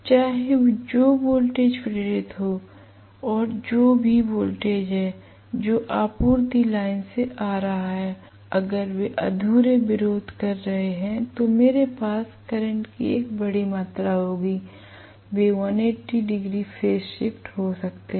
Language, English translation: Hindi, Whether the voltages that were induced and whatever is the voltage that is coming from the supply line, if they are incomplete opposition, I will have a huge amount of current, they can 180 degrees out of phase, very much why not right